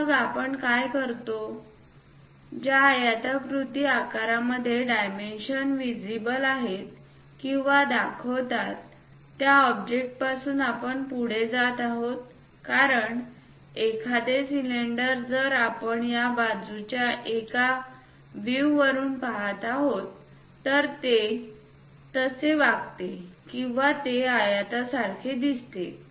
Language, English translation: Marathi, So, what we do is we go ahead from the object where rectangular dimensions are visible or views because a cylinder if we are looking from one of the view like this side, it behaves like or it looks like a rectangle